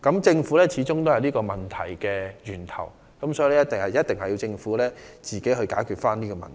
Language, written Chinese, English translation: Cantonese, 政府始終是這些問題的源頭，所以政府必須自己解決問題。, The Government is the origin of all such problems after all so it must resolve them itself